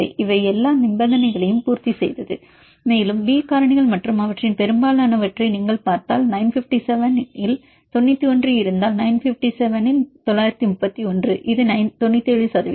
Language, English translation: Tamil, So, from all these numbers you can identify this these are all very high it met all the conditions and if you see the B factors and most of them for example, if with 91 out of 957, 931 out of 957 this is 97 percent